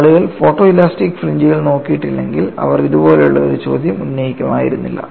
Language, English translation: Malayalam, See if people have not looked at photo elastic fringes, they would not have raised a question like this